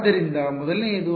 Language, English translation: Kannada, So, the first is